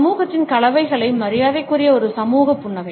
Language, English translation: Tamil, A social smile which is adopted going to politeness concerns of the society